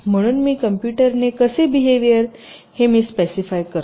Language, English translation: Marathi, so i specify how the computer should behave now, the from